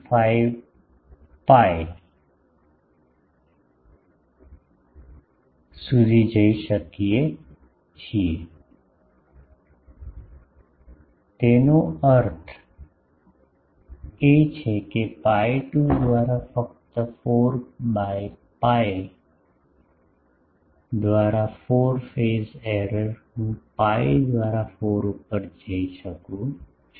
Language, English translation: Gujarati, 5 pi; that means, pi by 2 only, instead of pi by 4 phase error I can go up to pi by 4